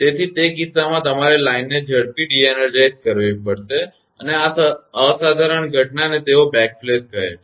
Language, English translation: Gujarati, So, in that case you have to de energize the line fast and this phenomena sometime they call as a backflash